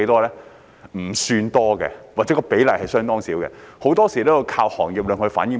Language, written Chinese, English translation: Cantonese, 不算多，或者比例相當少，很多時候也要依靠行業向局方反映。, Not much or the proportion is very small . It often relies on the industry to reflect to the Bureau